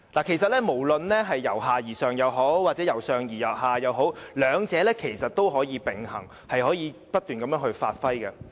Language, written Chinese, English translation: Cantonese, 其實，不論是由下而上，或是由上而下也好，兩者也是可以並行，可以不斷發揮的。, In fact a bottom - up policy and a top - down policy can be implemented in parallel and developed steadily